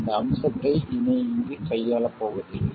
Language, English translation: Tamil, So we won't deal with that aspect any further here